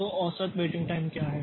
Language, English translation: Hindi, So, what is the average waiting time